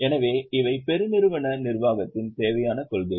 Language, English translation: Tamil, So, these are necessary principles of corporate governance